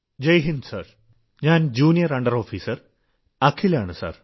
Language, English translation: Malayalam, Jai Hind Sir, this is Junior under Officer Akhil